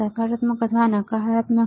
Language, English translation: Gujarati, positive, or negative